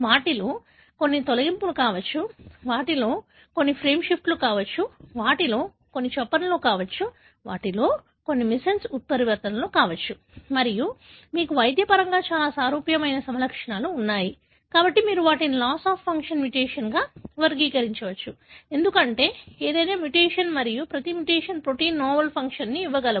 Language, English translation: Telugu, Some of them could be deletions, some of them could be frame shifts, some of them could be insertions, some of them could be missense mutations and you have clinically very similar phenotype, therefore you can categorize them as loss of function mutation, because not that any mutation and every mutation cangive a proteina novel function